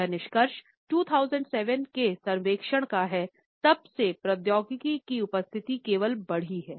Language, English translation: Hindi, These findings are from a 2007 survey and since that we find that the presence of technology has only been enhanced